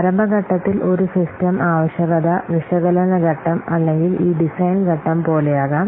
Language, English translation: Malayalam, So during the early phase may be like a system requirement, system requirement analysis phase or this design phase